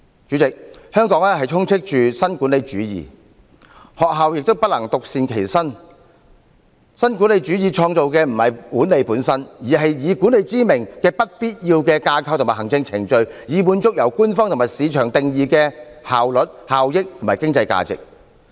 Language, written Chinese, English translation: Cantonese, 主席，香港充斥着新管理主義，學校也不能獨善其身，新管理主義創造的不是管理本身，而是以管理之名的不必要架構及行政程序，以滿足由官方和市場定義的效率、效益及經濟價值。, President neo - managerialism prevails in Hong Kong and schools cannot be spared . What neo - managerialism creates is not management itself but unnecessary frameworks and administrative procedures in the name of management to meet the efficiency effectiveness and economic value as defined by the Government and the market